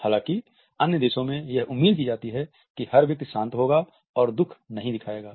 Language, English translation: Hindi, However, in other countries it is expected that a person will be dispassionate and not show grief